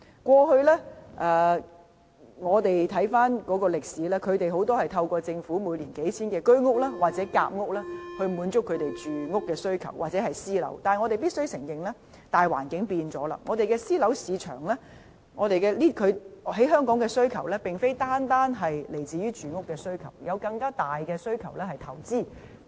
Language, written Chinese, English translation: Cantonese, 回看歷史，他們的住屋需求大多透過政府每年興建的數千個居屋和夾屋單位，以及私樓來滿足，但我們必須承認，大環境已改變，香港私樓市場的需求不僅來自住屋需求，還有在投資方面的更大需求。, In the past the housing demand of this group of households was primarily met by several thousand HOS and Sandwich Class Housing flats built by the Government annually as well as housing in the private sector . But we must admit that the macroeconomic environment has changed . Private housing no longer meets the demand for accommodation but also an even greater demand for investment